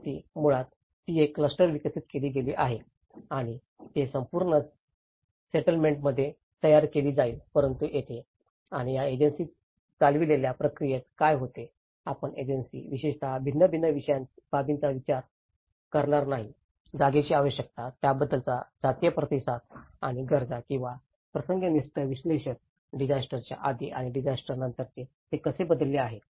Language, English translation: Marathi, Whereas the replication, it is basically a cluster has been developed and that would be replicated in the whole settlement but here in this and this in the agency driven process what happens is you the agency will not consider a lot of differential aspects especially, in terms of space requirements, the communal response to it and the needs or the situational analysis, how it has changed before disaster and after disaster